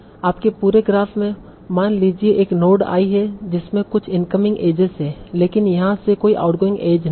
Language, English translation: Hindi, Suppose in your whole graph there is a node I that has some incoming edges but there is no outgoing age from here